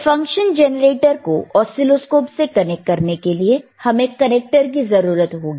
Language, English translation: Hindi, So, for connecting this function generator to oscilloscope, you need some connectors is n't iit not